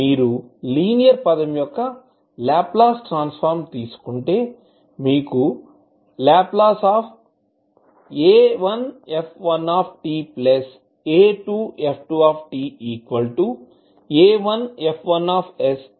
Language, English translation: Telugu, If you take the Laplace transform of the linear term you will get the Laplace transform like a1 f1 s plus a2 f2 s